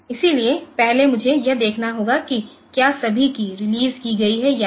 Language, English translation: Hindi, So, have to check whether all keys are released